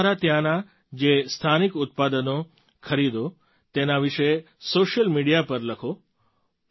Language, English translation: Gujarati, Do share on social media about the local products you buy from there too